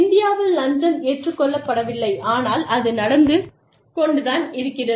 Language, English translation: Tamil, In India, Bribery is not accepted, but it happens